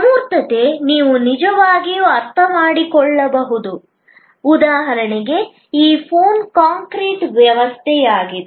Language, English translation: Kannada, Abstractness you can really understand there is for example, this phone is an concrete object